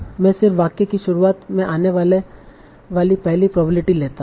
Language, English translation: Hindi, I want to find the probability of this sentence